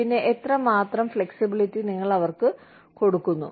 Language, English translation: Malayalam, And, how much of flexibility, do you give them